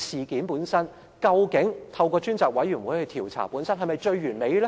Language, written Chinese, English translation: Cantonese, 究竟透過專責委員會調查事件是否最完美呢？, Is the establishment of a select committee the best way to investigate an incident?